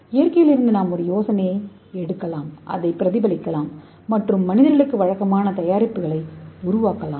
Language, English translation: Tamil, So we can take a idea from nature and we can mimic that and we can make a usual product for the human beings okay